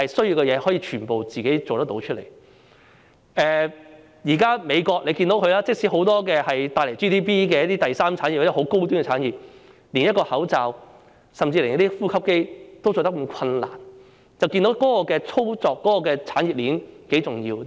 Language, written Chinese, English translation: Cantonese, 現時可以看到，即使美國有很多帶來 GDP 的第三產業、十分高端的產業，但卻連一個口罩，甚至連呼吸機也難以製造，由此便可得知產業鏈多麼重要。, Now we can see that even though the United States has many tertiary industries those very high - end industries that can contribute to GDP they can hardly produce any masks or even ventilators . From this we can tell how important the industry chain is